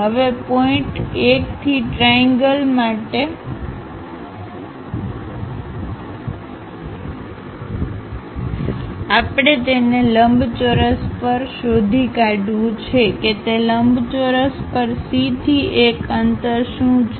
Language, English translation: Gujarati, Now, for the triangle from point 1 we have to locate it on the rectangle further what is the distance from C to 1 on that rectangle